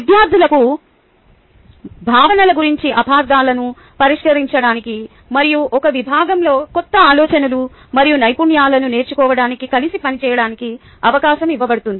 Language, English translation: Telugu, evidence based students are given the opportunity to resolve misunderstandings about concepts and work together to learn new ideas and skills in a discipline